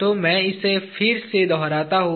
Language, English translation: Hindi, So, again I will repeat it